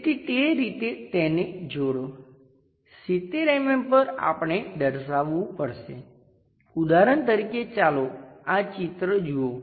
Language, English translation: Gujarati, So, join that similarly join that, at 70 mm we have to locate for example, let us look at this picture